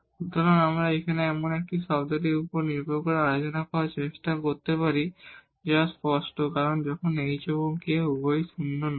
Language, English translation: Bengali, So, now, we can try to get the behavior based on this term here, which is clear because when h and k both are non zero